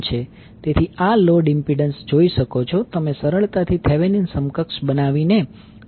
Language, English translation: Gujarati, So, this you can see that the load impedance, you can easily find out by creating the Thevenin equivalent